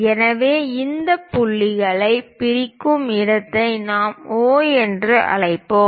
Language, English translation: Tamil, So, the point where it is intersecting dissecting that point let us call O